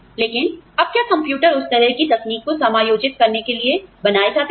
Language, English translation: Hindi, But, now, do you ever, are computers, even being built to accommodate, that kind of technology